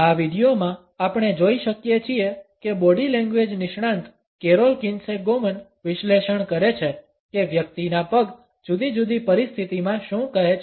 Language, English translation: Gujarati, In this video, we can see that the body language expert carol Kinsey Goman is analyzed what one’s feet tell in different situation